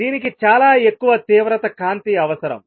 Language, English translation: Telugu, It required very high intensity light